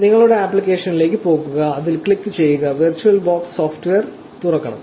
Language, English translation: Malayalam, Go to your applications, click on it and the virtual box software should open